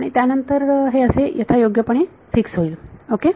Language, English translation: Marathi, So, this is then fixed appropriately ok